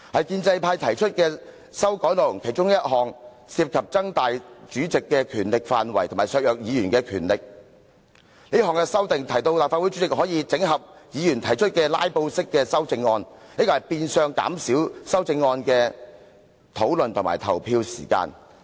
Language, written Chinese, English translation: Cantonese, 建制派提出的其中一項修訂建議涉及擴大主席的權力範圍及削弱議員的權力，這項修訂提到立法會主席可以整合議員提出的"拉布"式修正案，變相減少修正案的討論和投票時間。, One of the amendments proposed by the pro - establishment camp seeks to expand the scope of powers of the President and undermine the powers of Members by empowering the President of the Legislative Council to combine the amendments proposed by Members for filibustering purposes which will indirectly reduce the time for discussing and voting on the amendments concerned